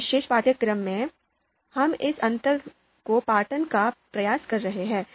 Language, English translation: Hindi, So in this particular course, we are trying to attempt and bridge that gap